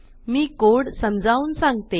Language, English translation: Marathi, I will explain the code